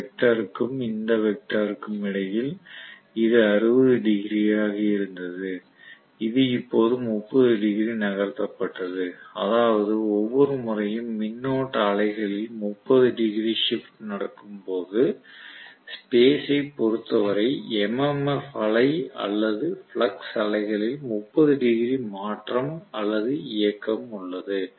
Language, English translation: Tamil, Between this vector and this vector, this was 60 degrees this was now moved by 30 degrees that means every time the time shift take place by 30 degrees in the current wave, there is a 30 degrees shift or movement in the MMF wave or the flux wave as per as the space is concerned